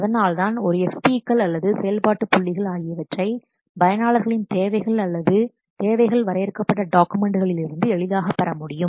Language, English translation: Tamil, So, that's why a P's or function points they can be more easily derived from the what users requirements or from the requirements documents